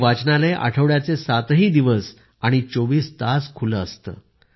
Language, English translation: Marathi, This library is open all seven days, 24 hours